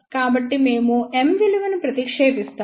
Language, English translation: Telugu, So, we substitute the value of M over